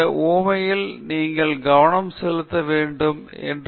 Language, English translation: Tamil, In the illustration, there are specific details that you should pay attention to